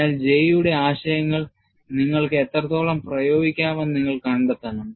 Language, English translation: Malayalam, So, you have to find out, to what extent you can apply, the concepts of J